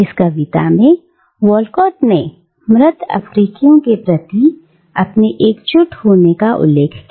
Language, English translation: Hindi, And in the poem Walcott extends his solidarity to the dead Africans